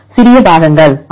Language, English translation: Tamil, Small parts, yes